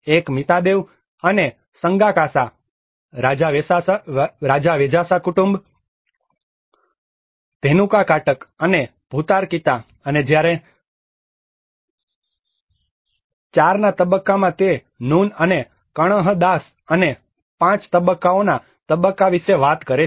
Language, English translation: Gujarati, One is the Mitadeva and Sanghakasa, Rajavejasa family, Dhenukakataka and Bhutarakhita and whereas phase IV it talks about Nun and Kanhadasa and phase V Avesena